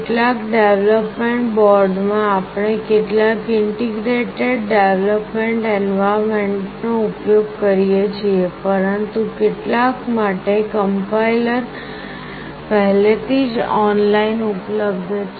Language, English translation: Gujarati, In some development boards we use some integrated development environment, but for some the compiler is already available online